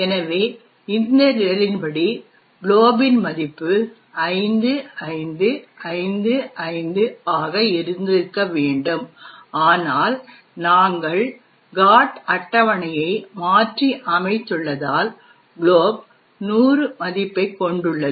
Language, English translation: Tamil, So, the value of glob according to this program should have been 5555 but, since we have modified the GOT table, therefore, glob actually has a value of 100